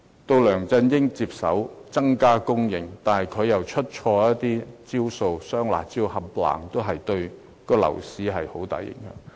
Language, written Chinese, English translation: Cantonese, 到梁振英接手，增加房屋供應，但他卻出錯招數，"雙辣招"等措施對樓市造成很大影響。, When LEUNG Chun - ying took over he started to increase housing supply . But he used the wrong tactics and measures such as the double curbs measures have created a huge impact on the property market